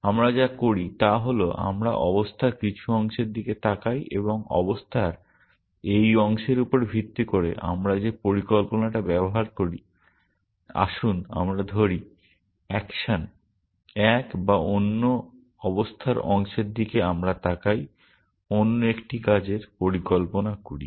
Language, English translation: Bengali, What we do is we look at some part of the state and based on this part of the state we device, let us say action one or another part of the state we look at we device another action